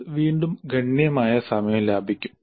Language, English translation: Malayalam, This would again save considerable time